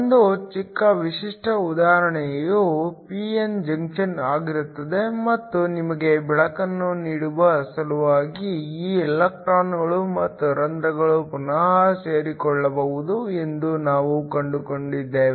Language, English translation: Kannada, A small a typical example would be a p n junction and we found that these electrons and holes can recombine in order to give you light